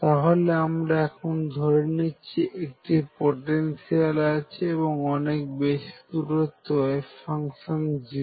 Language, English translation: Bengali, So, what we are considering is suppose there is a potential given the wave function is 0 far away